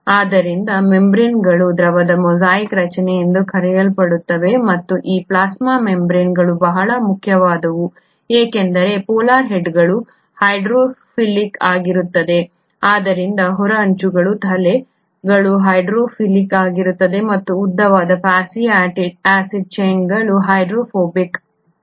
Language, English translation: Kannada, Hence you find that the membranes have what is called as a fluid mosaic structure and these plasma membranes are very important because the polar heads are hydrophilic, so the outer edges, the heads are hydrophilic while the tails which are the long fatty acid chains are hydrophobic